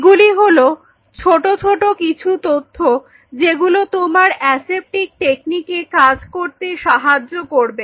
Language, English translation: Bengali, So, these are a small bits and pieces of information’s which will help you to follow the aseptic techniques